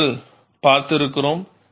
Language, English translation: Tamil, That we have seen